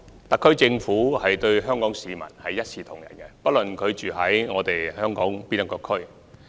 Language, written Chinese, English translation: Cantonese, 特區政府對香港市民一視同仁，不論他們在香港哪個地區居住。, The SAR Government treats every member of the Hong Kong public equally regardless of the districts they live in Hong Kong